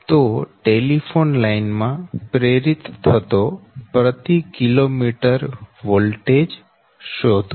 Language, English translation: Gujarati, find the voltage per kilometer induced in the telephone line, right